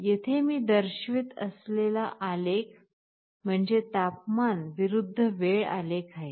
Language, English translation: Marathi, Here, the graph that I am showing is a temperature versus time graph